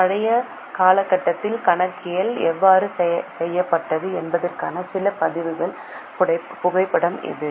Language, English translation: Tamil, This is a photograph of some records of how the accounting was made in the old period